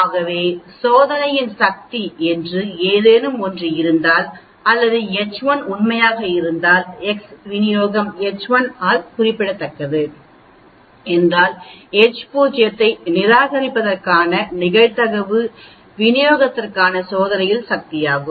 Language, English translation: Tamil, So if there is something called the power of the test or if H 1 is true, so that the distribution of X is specified by H 1 then the probability of rejecting the H0 is the power of the test for distribution